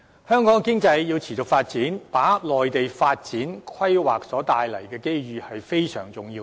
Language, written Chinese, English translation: Cantonese, 香港經濟要持續發展，就要掌握內地發展和規劃帶來的機遇，這是非常重要的。, It is most important for Hong Kong to seize the opportunities presented by the development and planning of the Mainland in order to maintain its economic development on a sustained basis